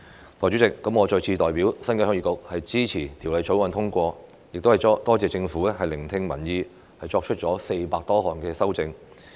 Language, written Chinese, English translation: Cantonese, 代理主席，我再次代表鄉議局支持《條例草案》通過，亦多謝政府聆聽民意，作出400多項修正。, Deputy President on behalf of Heung Yee Kuk I once again express support for the passage of the Bill . I also thank the Government for listening to public opinion and making over 400 amendments